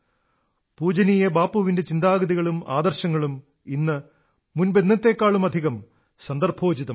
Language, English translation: Malayalam, Revered Bapu's thoughts and ideals are more relevant now than earlier